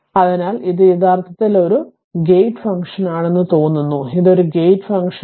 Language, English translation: Malayalam, So, it is looks like it is a gate function actually, it is a gate function